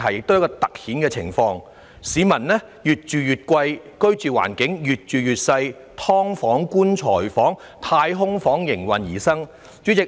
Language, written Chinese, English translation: Cantonese, 市民繳交的租金越來越高昂，但居住環境卻越見狹小，"劏房"、"棺材房"及"太空房"應運而生。, People have to bear an increasingly heavy burden of exorbitant rents but their living environment is getting more and more cramped and crowded culminating with the advent of subdivided units coffin - sized units and capsule - like accommodation